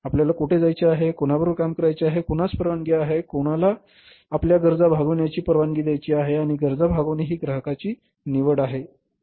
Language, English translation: Marathi, Whom you are along whom you want to allow to serve your needs and fulfill your needs that is the customer's choice